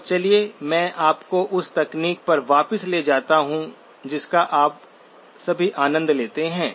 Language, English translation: Hindi, So let me take you back to the technology that all of you enjoy